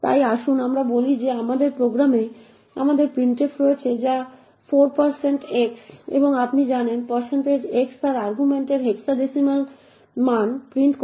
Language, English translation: Bengali, actually print the content of the stack, so let us say that in our program we have printf like this which 4 % x and as you know % x prints the hexadecimal value of its argument